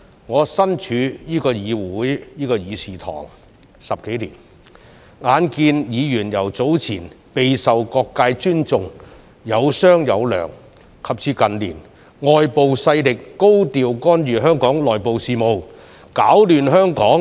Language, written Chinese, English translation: Cantonese, 我身處這個議事堂10多年，眼看議員由早年備受各界尊重，有商有量，及至近年外部勢力高調干預香港內部事務，攪亂香港。, I have been in this Chamber for more than 10 years . I have witnessed how Members were respected by society and open to discussion in the early years and external forces high - profile intervention into Hong Kongs internal affairs and their attempts to bring chaos Hong Kong in recent years